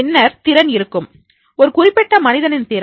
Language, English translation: Tamil, Then there will be the ability, ability of that particular person, right